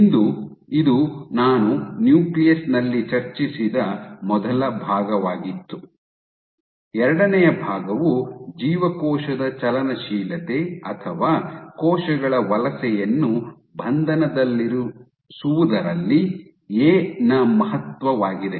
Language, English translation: Kannada, Today so this was the first part of what I discussed in a nucleus, the second part was the importance of A in dictating cell motility or cell migration under confinement